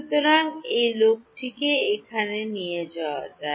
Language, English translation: Bengali, So, this guy can be taken out over here